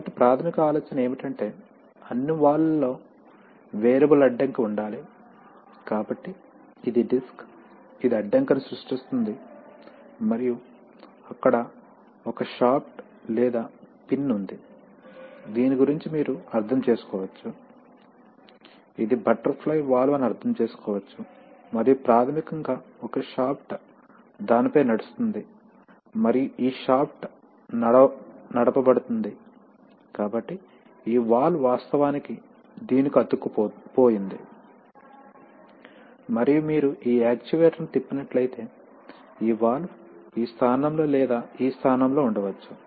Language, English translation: Telugu, So basic idea is that, in all valves there has to be an, there has to be an variable obstruction, right, so it is this disk which is the, which creates the obstruction and there is a, there is a shaft or a pin about which, so you can understand that, you can understand that, this is, this is the butterfly valve and there is basically a shaft runs across it and this shaft is driven, so this valve is actually, this valve is actually stuck to this and if you rotate this actuator, that this valve can be either in this position or in this position